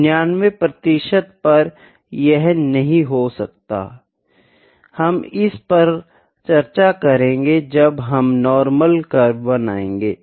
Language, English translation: Hindi, At 99 percent it cannot be, we will discuss this when we will draw the normal curve